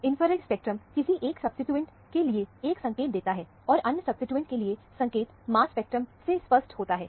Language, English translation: Hindi, The infrared spectrum gives a clue for one of the substituents, and the clue for the other substituents is amply evident from the mass spectrum